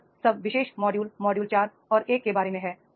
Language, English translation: Hindi, So, this is all about the particular module, module 4 and I end here